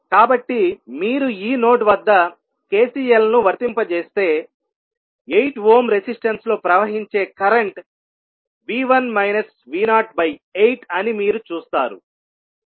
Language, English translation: Telugu, So, if you apply KCL at this node you will see that current flowing in 8 ohm resistance will be V 1 minus V naught by 8